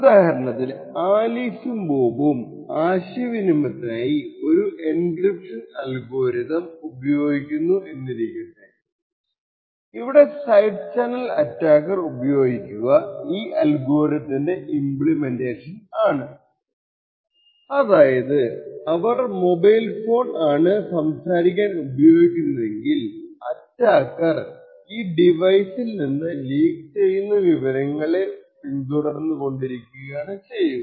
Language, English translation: Malayalam, So for example if we consider to people Alice and Bob and they are using a specific encryption algorithm to communicate with each other what a side channel attacker would use is the implementation of that particular algorithm this is due to the fact that this is for example let us say that Alice is using a mobile phone like this to speak to bob so a side channel attacker would keep track of the side channel information that is leaking from this particular device